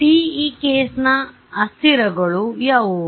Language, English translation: Kannada, So, TE case what are my variables